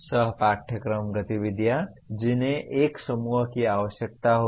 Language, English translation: Hindi, Co curricular activities that will require a group